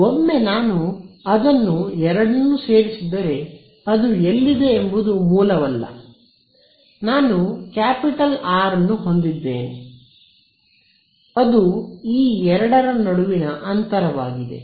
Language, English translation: Kannada, Once I boil it down to two lines it does not matter where the origin is because everywhere inside this over here I have capital R which is the distance between these two